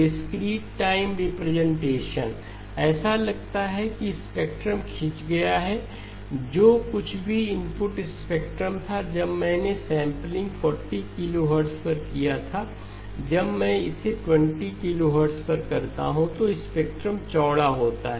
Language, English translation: Hindi, The discrete time representation, seems like the spectrum has been stretched, whatever was the input spectrum at when I did the sampling at 40 kilohertz, when I do it at 20 kilohertz the spectrum is wider